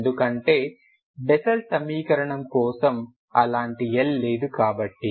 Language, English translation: Telugu, Because for Bessel equation there is no such L